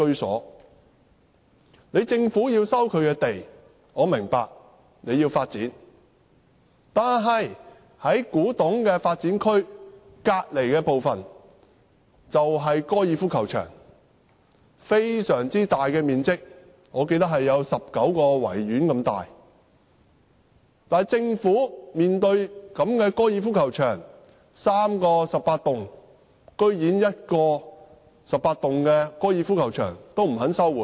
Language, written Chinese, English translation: Cantonese, 我明白，政府要收回土地發展，但古洞發展區旁邊的高爾夫球場，面積非常大，面積相等於19個維多利亞公園。然而，在3個十八洞的高爾夫球場當中，政府連1個高爾夫球場都不肯收回。, I understand that the Government has to resume the site for development; however next to the Kwu Tung development area there are golf courses occupying a very huge area equivalent to 19 Victoria Parks yet the Government is not even willing to resume one of the three 18 - hole golf courses